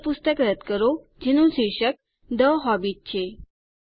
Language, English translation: Gujarati, Delete the book that has the title The Hobbit 3